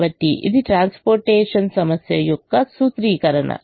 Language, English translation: Telugu, so this is the formulation of the transportation problem